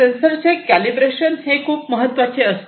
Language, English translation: Marathi, Calibration of any sensor is very important